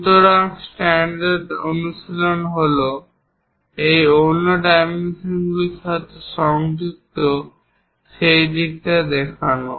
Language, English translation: Bengali, So, the standard practice is to show it on that side connected with this other dimension